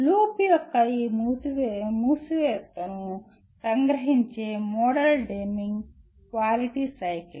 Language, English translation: Telugu, The model to capture this closure of the loop is the Deming’s Quality Cycle